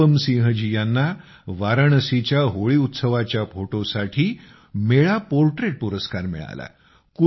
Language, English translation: Marathi, Anupam Singh ji received the Mela Portraits Award for showcasing Holi at Varanasi